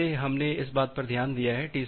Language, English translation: Hindi, Well we have looked into that